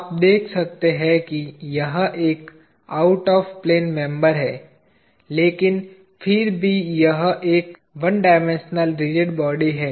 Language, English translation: Hindi, You can see that this is an out of plane member, but still it is one dimensional rigid body